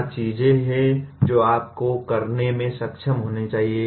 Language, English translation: Hindi, What are the things you should be able to do